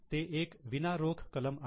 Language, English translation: Marathi, It is a non cash item